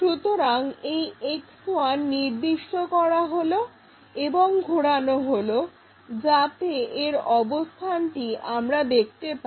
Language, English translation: Bengali, So, fix this X1 point and rotate it so that we will be in a position to see that